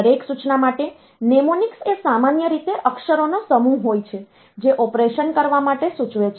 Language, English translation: Gujarati, A mnemonic for each instruction is usually group of letters that suggest the operation to be performed